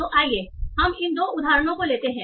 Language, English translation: Hindi, So let's take these two examples